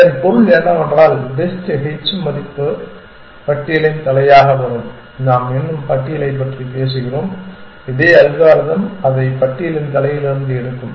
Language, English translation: Tamil, This means what simply that the best h value will come the head of the list we are still talking about it is the list and this same algorithm will pick it from the head of the list and then this thing